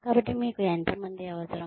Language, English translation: Telugu, So, how many people do you need